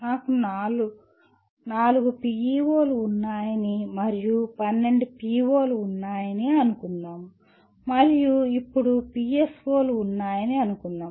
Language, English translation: Telugu, Let us assume I have four PEOs and there are 12 POs and let us assume there are three PSOs